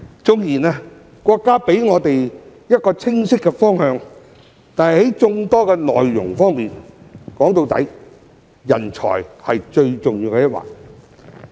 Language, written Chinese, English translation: Cantonese, 縱然國家給予我們一個清晰的方向，但在眾多內容上，說到底，人才是最重要的一環。, Although the country has given us a clear direction talents are the most important element in many of the strategies after all